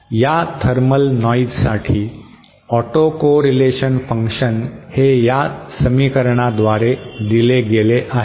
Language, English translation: Marathi, Autocorrelation function for this thermal noise is given by this equation